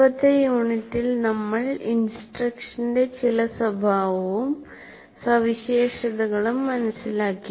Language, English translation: Malayalam, In our earlier unit, we understood the nature and some of the characteristics of instruction